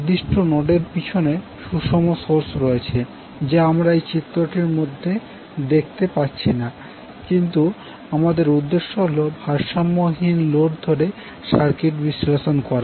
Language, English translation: Bengali, So balanced source is behind the particular nodes, which we are seeing so we are not showing that in the figure but since our objective is to analyze the circuit by assuming unbalanced load